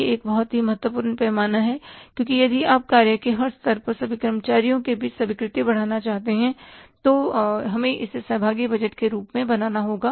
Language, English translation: Hindi, It is a very important dimension because acceptance if you want to increase among us all the employees at every level of the firm, we will have to make this as a participative budgeting